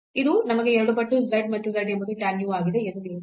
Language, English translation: Kannada, So, this will give us 2 times the z and z was tan u